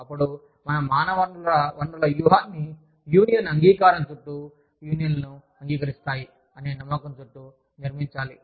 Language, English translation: Telugu, Then, we build our human resources strategy, around the union acceptance, belief of accepting unions